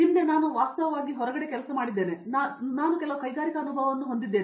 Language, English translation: Kannada, Previously I have actually worked outside, so I have some amount of industrial experience